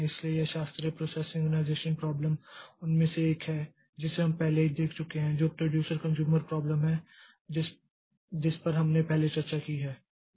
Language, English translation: Hindi, So, this classical process synchronization problem, one of them we have already seen which is the producer consumer problem that we have discussed previously